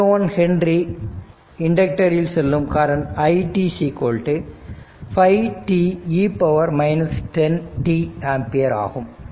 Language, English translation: Tamil, 01 Henry inductor is i t is equal to 5 t e to the power minus 10 t ampere